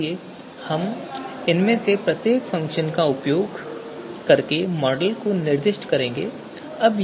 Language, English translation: Hindi, So we will specify models using each of those functions